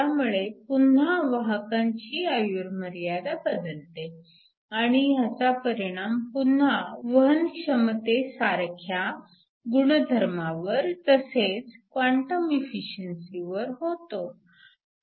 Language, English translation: Marathi, This will again change the carrier life time and that will again affect properties like the conductivity and also the quantum efficiency